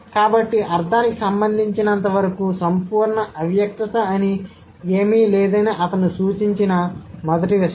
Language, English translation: Telugu, So, the first thing that he would suggest that there is nothing called absolute implicitness as far as meaning is concerned